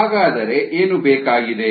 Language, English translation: Kannada, what is needed